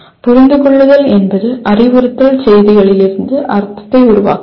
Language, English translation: Tamil, Understanding is constructing meaning from instructional messages